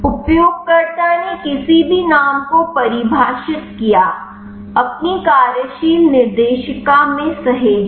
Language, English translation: Hindi, User defined any name, save in your working directory